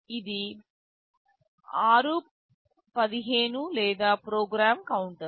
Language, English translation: Telugu, This is r15 or the program counter